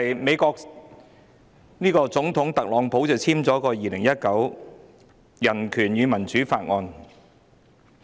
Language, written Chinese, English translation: Cantonese, 美國總統特朗普簽署了《香港人權與民主法案》。, United States President Donald TRUMP signed the Hong Kong Human Rights and Democracy Act